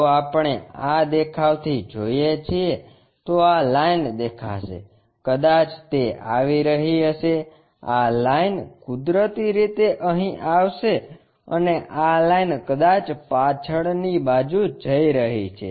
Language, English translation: Gujarati, If, we are looking from this view, this line will be visible perhaps it might be coming that, this line naturally comes here and this line perhaps going a back side